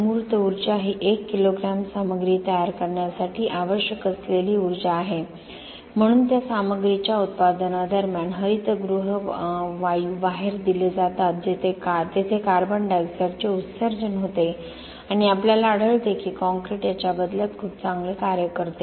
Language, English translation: Marathi, Embodied energy is the energy required to fabricate, to make to manufacture 1 kilogram of that material hence the CO2 emissions are what is given out has greenhouse gases during the production of that material and we find that concrete does very well in turns of this, these two aspects of environmental impact